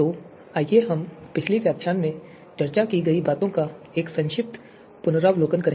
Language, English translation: Hindi, So let us do a quick recap of what we discussed in the previous lecture